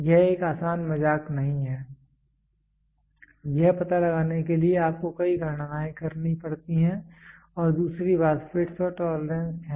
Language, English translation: Hindi, It is not an easy joke it you have to do a several calculations to figure it out and the other thing is fits and tolerance